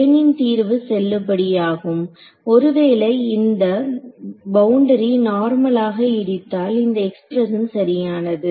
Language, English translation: Tamil, So, plane solution is valid further if this plane wave were hitting the boundary normally then this expression holds right